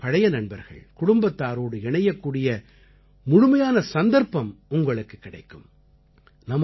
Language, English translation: Tamil, You will also get an opportunity to connect with your old friends and with your family